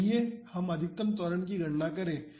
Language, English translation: Hindi, So, let us calculate maximum acceleration